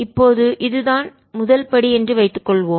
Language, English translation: Tamil, now suppose this is step one